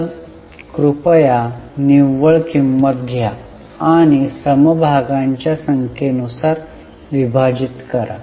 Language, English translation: Marathi, So, please take net worth and divided by number of shares